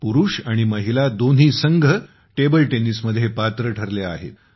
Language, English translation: Marathi, Both men’s and women’s teams have qualified in table tennis